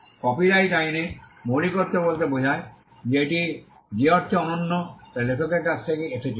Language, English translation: Bengali, In copyright law originality refers to the fact that it is unique in the sense that it originated from the author